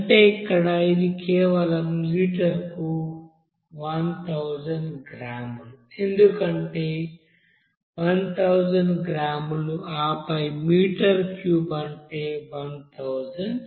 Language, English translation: Telugu, That means here we can say simply 1000 gram per liter, because kg 1000 gram and then what is that, meter cube means 1000 liter